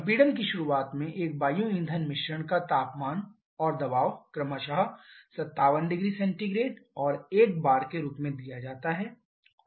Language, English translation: Hindi, The temperature and pressure of an air fuel mixture at the beginning of compression are given as 57 degree Celsius and 1 bar respectively